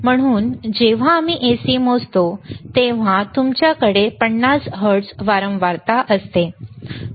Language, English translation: Marathi, So, when we measure the AC, you have 50 hertz frequency